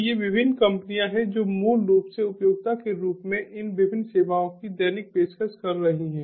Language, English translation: Hindi, so these are the different companies which are basically daily ah offering these different services as utility